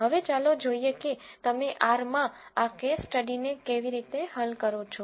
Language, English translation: Gujarati, Now, let us see how do you solve this case study in R